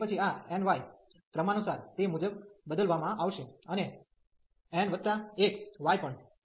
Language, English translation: Gujarati, And then this n pi will be replaced accordingly and n plus 1 pi as well